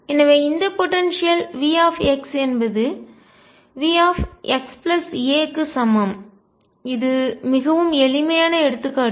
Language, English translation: Tamil, So, this potential V x is equal to V x plus a, this is a very simple example